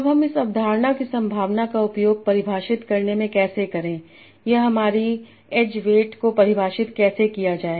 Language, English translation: Hindi, Now how do I use this concept probability to define or define my ad weights